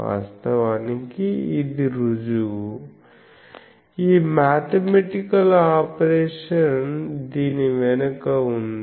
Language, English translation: Telugu, But this is the proof actually, this mathematical operation is behind this